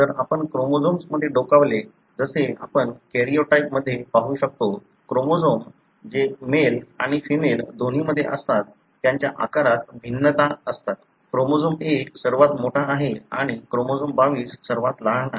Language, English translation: Marathi, Now if we look into the chromosomes, as you could see in the karyotype, the chromosomes vary in their size; chromosome 1 being the largest and the chromosome 22 being the smallest, the chromosomes that are present in both in male and female